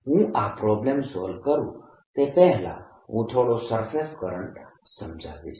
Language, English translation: Gujarati, before i solve this problem, let me spend a few minutes on surface current